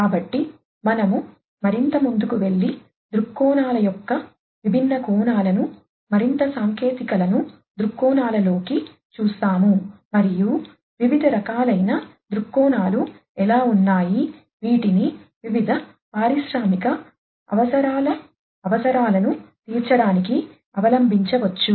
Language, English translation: Telugu, So, we go further ahead and look at the different aspects of viewpoints the further technicalities into the viewpoints and how there are different types of viewpoints, which could be adopted for catering to the requirements of different industrial needs